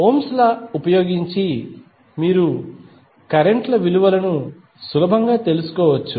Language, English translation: Telugu, You can easily find out the value of currents using Ohm's law